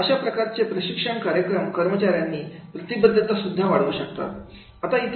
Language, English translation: Marathi, So this type of the training programs they can increase the employee engagement also